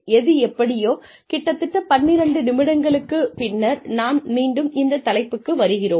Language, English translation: Tamil, But anyway, so about 12 minutes later, we are back on track